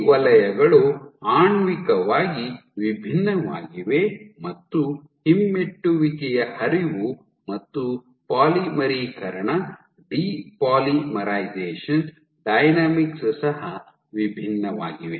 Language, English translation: Kannada, So, these zones are molecularly distinct and the retrograde flow as well as polymerization depolymerization dynamics is distinct